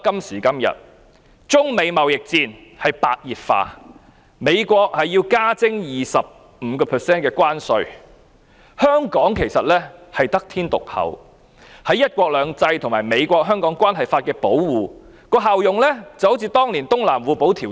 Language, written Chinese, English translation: Cantonese, 時至今日，中美貿易戰白熱化，美國要求加徵 25% 關稅，香港得天獨厚，在"一國兩制"和《美國—香港政策法》的保護下，效用就如當年的《東南互保條約》。, Today the United States - China trade war is reaching a climax . The United States has imposed 25 % tariffs on imported Chinese goods . Hong Kong is exceptionally blessed under the protection of one country two systems and the United States - Hong Kong Policy Act which is equivalent to the function of the Mutual Protection of Southeast China agreement in the past